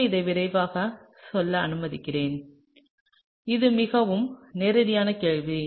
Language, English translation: Tamil, So, let me just quickly go through this; this is a fairly straightforward question, okay